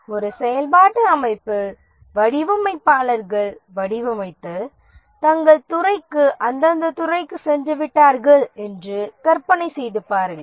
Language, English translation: Tamil, Imagine that in a functional organization the designers have designed and they have gone back to their department, respective department